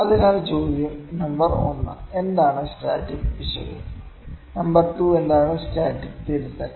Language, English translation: Malayalam, So, the question is number 1, what is static error; number 2, what is static correction